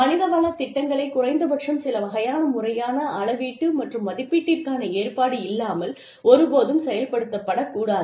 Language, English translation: Tamil, Human resources program should never be implemented, without a provision, for at least some type of, formal method of measurement and evaluation